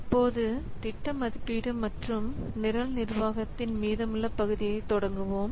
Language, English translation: Tamil, So, now let's start the remaining part of the project evaluation and program management